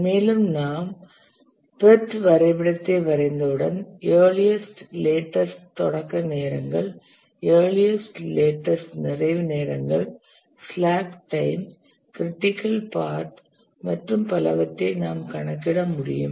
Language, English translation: Tamil, And once we draw the pot diagram, we should be able to compute the earliest, latest starting times, earliest latest completion times, slack times, critical path and so on